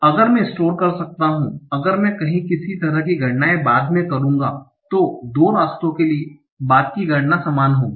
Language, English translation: Hindi, If I can somehow find that the later computations will, so for the two paths, the later computations will be the same